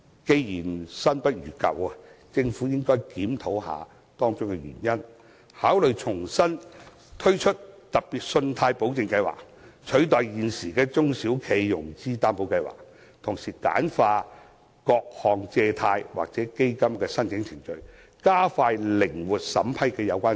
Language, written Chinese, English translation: Cantonese, 既然新不如舊，政府應檢討箇中原因，考慮重新推出特別信貸保證計劃，取代現時的中小企融資擔保計劃，同時簡化各項借貸或基金的申請程序，加快靈活審批。, Given that the old one is better than the new one the Government should find out the reason and consider relaunching the Special Loan Guarantee Scheme to replace the existing Scheme and it should also streamline the different financing or fund application procedures so as to speed up the vetting and approval procedures with greater flexibility